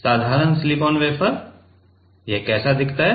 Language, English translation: Hindi, Simple silicon wafer, how does it look like